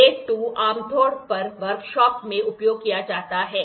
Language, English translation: Hindi, Grade 2 is generally used in the workshop